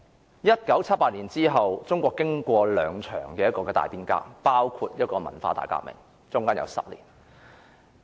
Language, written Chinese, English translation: Cantonese, 在1978年之前，中國經過了兩場大變革，包括歷時10年的文化大革命。, China had weathered two major changes in the period before 1978 . One was the decade - long Cultural Revolution